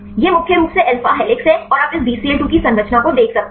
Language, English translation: Hindi, This is mainly alpha helixes you can see the structure of this Bcl 2 and how to get these models